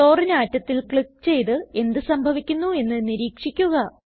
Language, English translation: Malayalam, Click on Chlorine atom and observe what happens